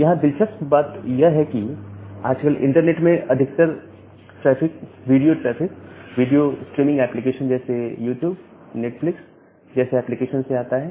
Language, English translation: Hindi, So, interestingly the majority of the traffic in the internet nowadays comes from the video traffic; from the video streaming kind of applications like YouTube, Netflix, this kind of applications